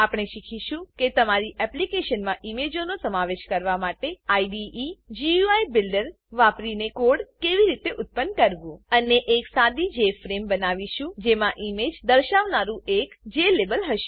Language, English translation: Gujarati, We will learn how to use the IDEs GUI Builder to generate the code to include images in your application, and create a simple Jframe with one Jlabel displaying an image